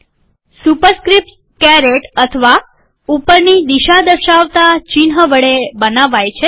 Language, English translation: Gujarati, Superscripts are created by the carrot or by the up arrow symbol